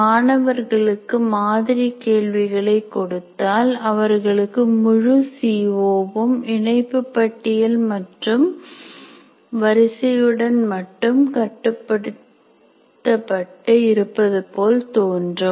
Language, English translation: Tamil, So when I give sample problems to the students, they will feel that the entire CO is only constrained to linked list and arrays